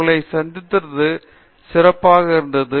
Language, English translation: Tamil, It was nice talking to you